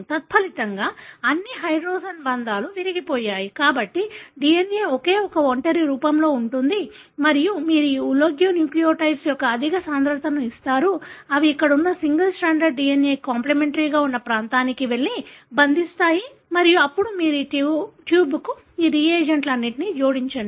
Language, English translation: Telugu, As a result, all the hydrogen bonds are broken, so the DNA is in a single stranded form and you give very high concentration of this oligonucleotides, they go and bind to the region that are complimentary to the single stranded DNA that is present there and then, you add to that tube all these regents